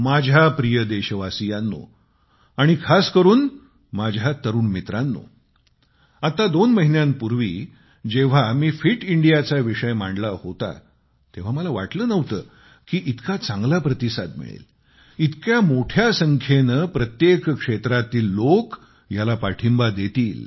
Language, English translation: Marathi, My dear countrymen, especially my young friends, just a couple of months ago, when I mentioned 'Fit India', I did not think it would draw such a good response; that a large number of people would come forward to support it